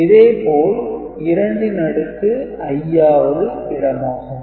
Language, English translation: Tamil, So, what are the 2 to the power i th position